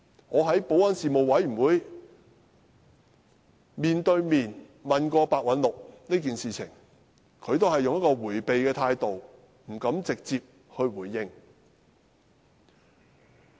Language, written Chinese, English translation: Cantonese, 我在保安事務委員會上曾當面詢問白韞六這件事，他也只是採取迴避態度，不敢直接回應。, At a meeting of the Panel on Security I put questions to Simon PEH upfront about this incident . He only took an evasive attitude and dared not give an answer direct